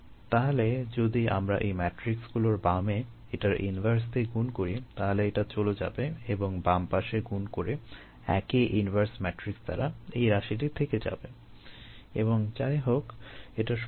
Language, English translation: Bengali, so if we pre multiply this matrix, were this inverse, this will drop out, and pre multiple this with this same inverse matrix, this termremain, and anyway this is zero